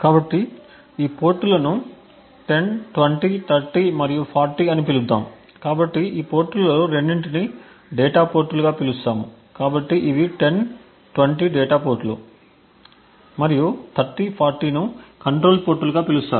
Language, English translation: Telugu, So, let us call these ports as 10, 20, 30 and 40, so we call 2 of these ports as the data ports, so it is called data ports and 30 and 40 as the control ports